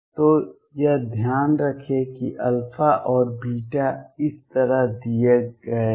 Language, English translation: Hindi, So, keep this in mind that alpha and beta given like this